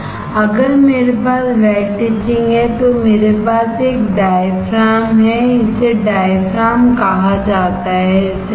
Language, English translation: Hindi, If I have wet etching then I have a diaphragm this is called a diaphragm alright